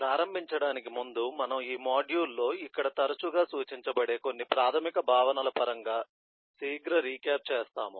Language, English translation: Telugu, so to start with, we will make a quick recap in terms of some of the basic concepts which will be referred more frequently in this module